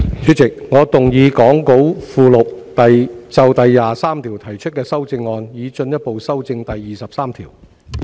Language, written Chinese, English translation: Cantonese, 主席，我動議講稿附錄就第23條提出的修正案，以進一步修正第23條。, Chairman I move my amendments to clause 23 set out in the Appendix to the Script to further amend clause 23